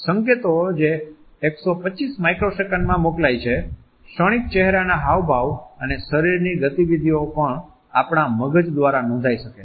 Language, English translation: Gujarati, The signals which are sent in 125 microseconds, the fleeting facial expressions and body movements can also be registered by our brain